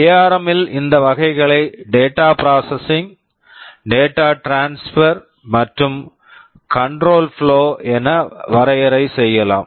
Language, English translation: Tamil, In ARM let us define these categories as data processing, data transfer and control flow